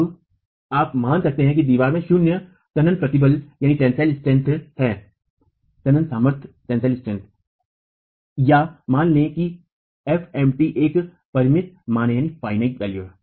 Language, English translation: Hindi, Now you could assume that the wall has zero tensile strength or assume that FMT is a finite value